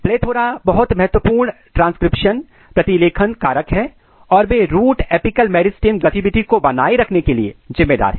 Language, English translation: Hindi, PLETHORA are very important transcription factor and they are responsible for maintaining root apical meristem activity